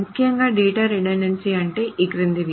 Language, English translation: Telugu, So what does data redundancy mean